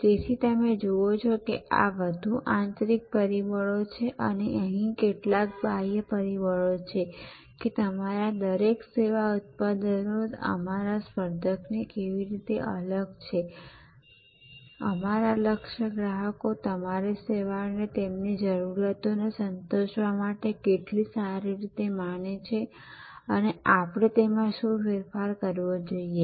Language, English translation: Gujarati, So, these you see are more internal factors and here there are some external factors, that how does each of our service products differ from our competitors, how well do our target customers perceive our service as meeting their needs and what change must we make to strengthen our competitive position